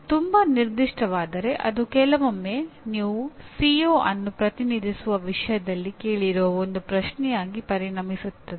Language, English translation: Kannada, Too specific sometimes will turn out to be a simply one question that you are going to ask in the topic representing the CO